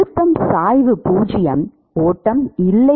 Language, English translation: Tamil, The pressure gradient is zero, there is no flow